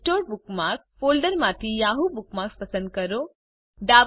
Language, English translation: Gujarati, From the Unsorted Bookmarks folder select the Yahoo bookmark